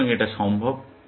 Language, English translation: Bengali, So, it is possible